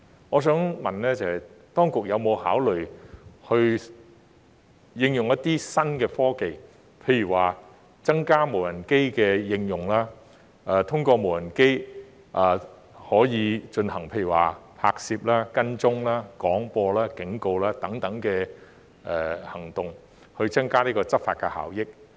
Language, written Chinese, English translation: Cantonese, 我想問的是，當局有否考慮應用一些新科技，譬如增加無人機的應用，通過無人機進行拍攝、跟蹤、廣播及警告等行動，以增加執法效益？, I would like to ask Has the Administration considered enhancing enforcement effectiveness by applying some new technologies such as increasing the use of drones for filming tracking making announcements giving warnings etc?